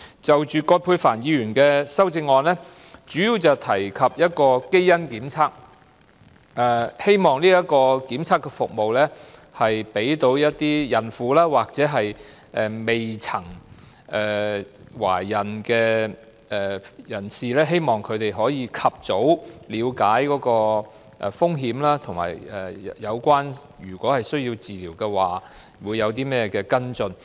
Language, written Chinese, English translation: Cantonese, 就葛珮帆議員的修正案，主要提及基因檢測，希望檢測的服務讓孕婦或未曾懷孕的人士及早了解胎兒患有罕見疾病的風險，以及如胎兒需要治療，會有何跟進。, About Dr Elizabeth QUATs amendment it mainly talks about genetic tests . It is hoped that the testing services will let pregnant women and those who are not yet pregnant understand the risk of rare diseases in foetuses and the courses of action to be followed up in case the foetuses need treatments